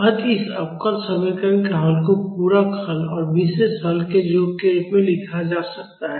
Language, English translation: Hindi, So, the solution of this differential equation can be written as, the sum of the complementary solution and the particular solution